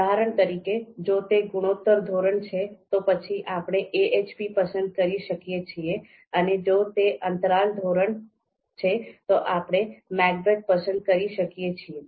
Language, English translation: Gujarati, For example if it is ratio scale, we can pick AHP; if it is interval scale, we can pick MACBETH